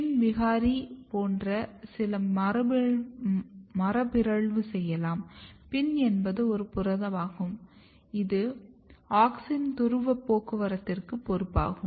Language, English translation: Tamil, So, if you look the pin mutant; PIN is basically a protein which is responsible for polar transport of the auxin